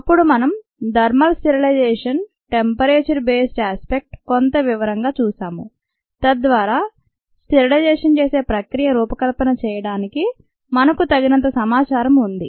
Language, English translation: Telugu, then we saw thermal sterilization the temperature based aspect in some detail so that we had enough information to ah we able to design a priory, this sterilization process